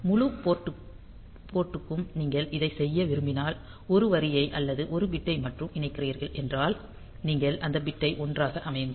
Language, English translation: Tamil, If you want to do it for the entire port and if you are connecting only a single line then or a single bit, then you set that bit to 1